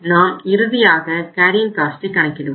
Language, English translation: Tamil, Now let us finally calculate the carrying cost